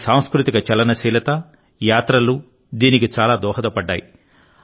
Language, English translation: Telugu, Our cultural mobility and travels have contributed a lot in this